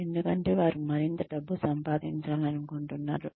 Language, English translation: Telugu, Because, they want to make, even more money